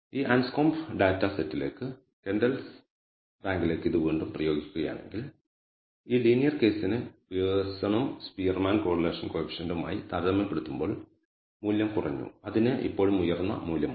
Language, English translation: Malayalam, So, again if we apply it to Kendall’s rank to this Anscombe data set we find that although it has decreased for this linear case the value has decreased as compared to the Pearson and Spearman correlation coefficient, it still has a reasonably high value